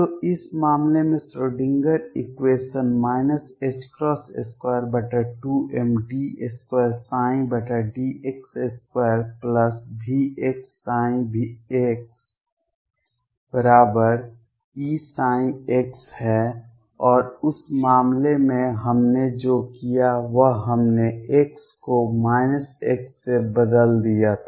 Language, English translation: Hindi, So, in this case Schrödinger equation is minus h cross square over 2 m, d 2 psi over d x square plus V x psi x is equal to E psi x and what we did in that case was we replaced x by minus x